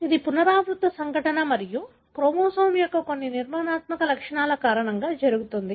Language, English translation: Telugu, So, it is a recurrent event and happens because of certain structural features of the chromosome